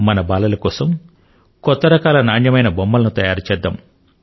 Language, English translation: Telugu, Come, let us make some good quality toys for our youth